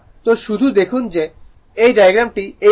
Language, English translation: Bengali, So, just see this diagram is like this